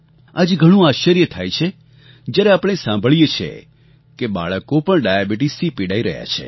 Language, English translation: Gujarati, It is indeed surprising today, when we hear that children are suffering from diabetes